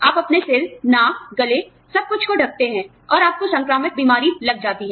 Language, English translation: Hindi, You cover your head, nose, throat, everything, and you still get the bug